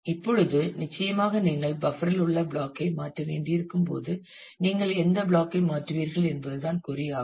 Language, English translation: Tamil, Now, certainly when you have to replace the block in the buffer, then the question is which block would you replace